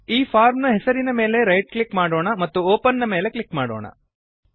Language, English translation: Kannada, Let us right click on this form name and click on Open